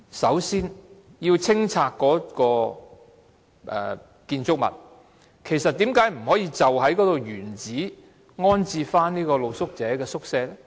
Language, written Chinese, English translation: Cantonese, 首先，要清拆該建築物，為何不能原址重置露宿者宿舍呢？, First while that building will be demolished why cant the street sleepers shelter be rebuilt in situ?